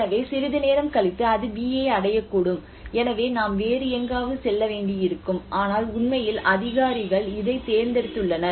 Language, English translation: Tamil, So sometime later it may reach to B as well so we may have to go somewhere else, but in reality the authorities have chosen this